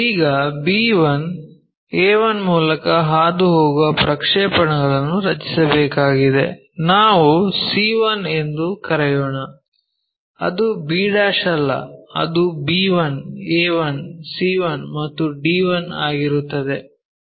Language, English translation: Kannada, Now, we have to draw projectors to this b passing through b 1, a 1, let us call c 1 is not' b 1, a 1, c 1, and d 1